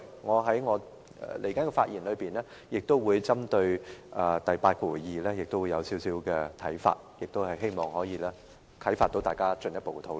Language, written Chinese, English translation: Cantonese, 我以下的發言亦會針對第82條，提出一些看法，希望可以引發大家進一步討論。, I will now speak also with reference to clause 82 giving out certain views which hopefully help provoke further discussion